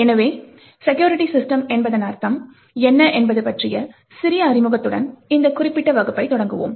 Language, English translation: Tamil, So, let us start this particular class with a small introduction about what we mean by Security Systems